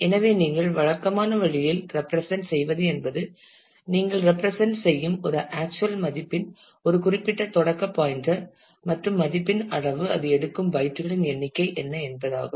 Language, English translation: Tamil, So, the typical way you represent that is a you represent as to; what is a starting pointer of a particular of the actual value and the size of the value the number of bytes it will take